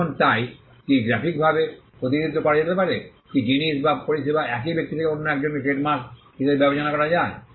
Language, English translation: Bengali, Now so, what can be graphically represented, what can distinguish goods and services from one person to another this regarded as a trademark